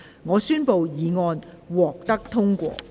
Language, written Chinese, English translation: Cantonese, 我宣布經修正的議案獲得通過。, I declare the motion as amended passed